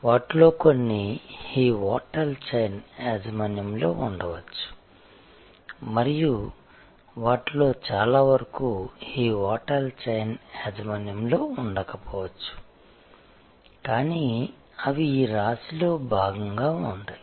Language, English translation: Telugu, Some of them may be owned by this hotel chain and many of them may not be owned by this hotel chain, but they will be part of this constellation